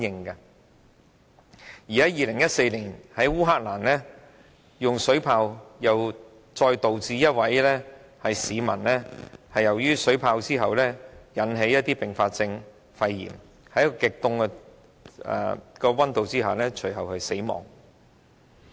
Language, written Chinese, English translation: Cantonese, 2014年，烏克蘭政府用水炮鎮壓示威者，導致一位被擊中的市民出現肺炎等併發症，隨後在極低溫度下死亡。, In 2014 water cannons used by the Ukrainian Government to suppress demonstrators led to the development of complications including pneumonia to a person hit by the water cannons . Subsequently the person died under extremely low temperature